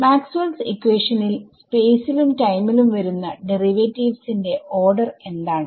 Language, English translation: Malayalam, What is the, in the Maxwell’s equations that you have seen, what is the order of derivatives that are coming in space and time